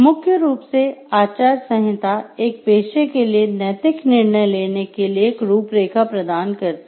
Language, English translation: Hindi, Primarily a code of ethics provides a framework for ethical judgment for a profession